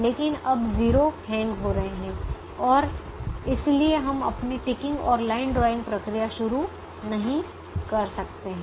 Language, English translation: Hindi, but now the zeros are hanging and therefore we cannot start our ticking and line drawing procedure